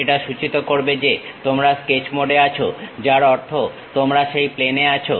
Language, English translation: Bengali, That indicates that you are in Sketch mode; that means, you are on that plane